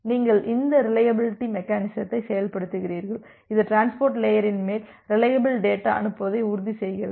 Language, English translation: Tamil, On top of that you are implementing this reliability mechanism which is ensuring that reliable data send on top of the transport layer